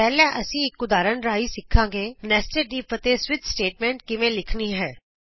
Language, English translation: Punjabi, First we will learn, how to write nested if and switch statement with an example